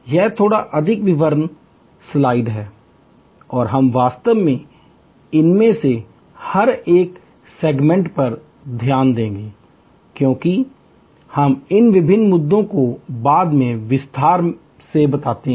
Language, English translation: Hindi, This is a little more details slide and we will actually look into each one of these segments, that as we tackle these various issues more in detail later on